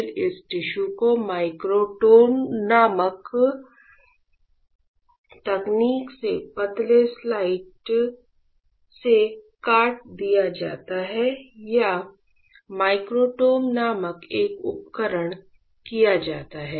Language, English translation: Hindi, Then this tissue is sliced into and if into thin slices with a technique called microtome or is a equipment called microtome alright